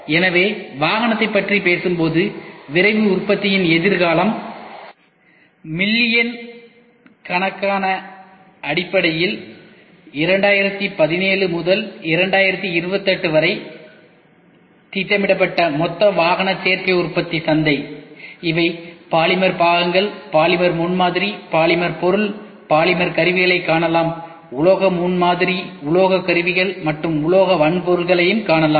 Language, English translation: Tamil, So, the future of Rapid Manufacturing when we talk about automotive; total automotive Additive Manufacturing market which is projected for from 2017 to 2028 in terms of millions, you can see here these are polymer parts, polymer prototype, polymer material you can see polymer tools, metal prototyping you can also see metal tools and metal hardwares